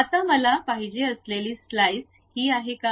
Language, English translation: Marathi, Now, is that the slice what I would like to have